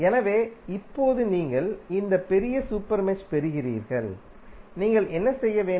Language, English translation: Tamil, So, now you get this larger super mesh, what you have to do